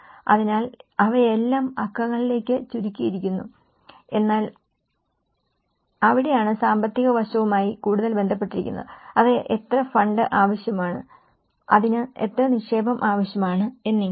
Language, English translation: Malayalam, So, they are all narrowed down to numbers but that is where it is more to do with the economic aspect how much fund is required for it, how much investment is needed for that